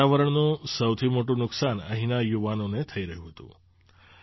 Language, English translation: Gujarati, The biggest brunt of this kind of environment was being borne by the youth here